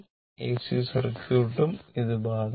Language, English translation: Malayalam, Same will be applicable to your AC circuit also